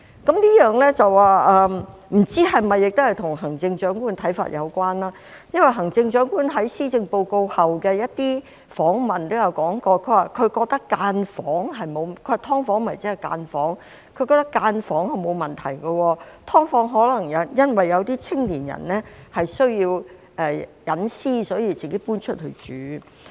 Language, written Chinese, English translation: Cantonese, 這不知是否與行政長官的看法有關，因為行政長官在發表施政報告後的一些訪問中提到，她認為"劏房"即是分間房，她覺得分間房沒有問題，因為有些青年人可能需要私隱，所以自己搬出去住。, I do not know whether this is related to the Chief Executives view; for she mentioned in some interviews after delivering the Policy Address that SDUs were in her view premises that form part of a unit of a building which were not a problem . She said that some young people might move out from their homes to live in SDUs because of the need for privacy